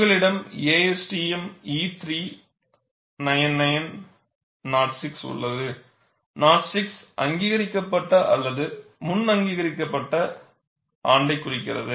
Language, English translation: Tamil, You have ASTM E399 06, the 06 indicates the year in which it was approved or reapproved, because it has a life